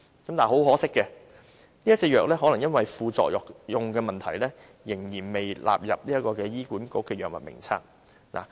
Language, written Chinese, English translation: Cantonese, 但是，很可惜，可能由於副作用的問題，這種藥仍然未納入醫管局的《藥物名冊》。, However it is a great pity that this drug is not yet covered by the Drug Formulary of HA probably because of its side effects